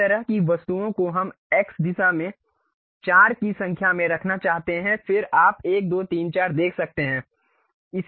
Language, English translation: Hindi, Such kind of objects we would like to have four in number in the X direction, then you can see 1 2 3 4